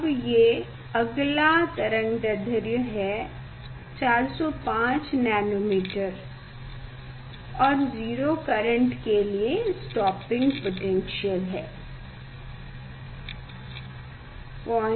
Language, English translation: Hindi, this next wavelength is 405 nanometer and stopping voltage is 0